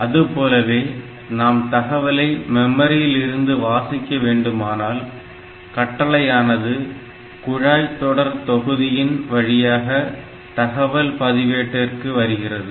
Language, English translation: Tamil, Similarly, if you are trying to read something from the memory then this is coming to this instruction pipeline as well as read data register